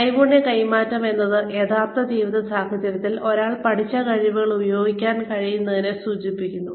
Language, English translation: Malayalam, Skills transfer refers to being, able to use the skills, that one has learnt, in real life situations